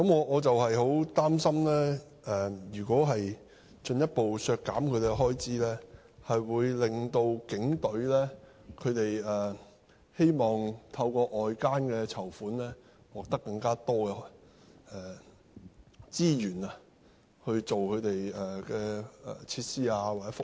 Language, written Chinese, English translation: Cantonese, 我很擔心如果進一步削減其開支，會令警隊希望透過外間的籌款獲得更多資源，用作購買設施或福利。, This worries me a lot as I am afraid that any further expenditure cut will incline HKPF towards raising more funds externally for the purchase of facilities and fringe benefits